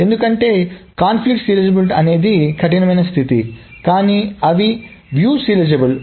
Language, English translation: Telugu, So what it actually means is that conflict serializability is a stricter condition than view serializability